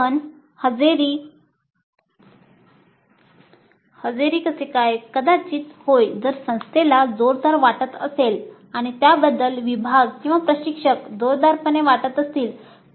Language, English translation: Marathi, But attendance probably yes if the institute strongly feels or if the department or the instructor strongly feel about it